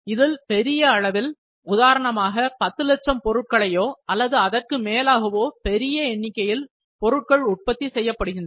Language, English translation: Tamil, Third is mass production, in which a large number may be 10 lakh Pieces or more than that or very large quantity is produced